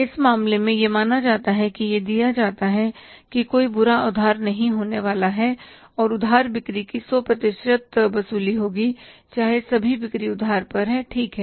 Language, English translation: Hindi, In this case it is assumed, it is given that no bad debts are going to be there and there is a 100% recovery of the credit sales though all all the sales are on credit